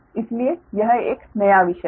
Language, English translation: Hindi, so this is a new topic